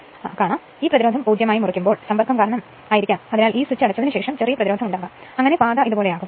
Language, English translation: Malayalam, When you cut this resistance to 0 right maybe because of some contact some little resistance may be there after that you close this switch such that the path will be like this